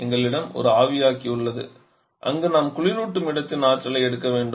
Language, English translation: Tamil, We have one evaporator where we have to pick up the energy of the refrigerant space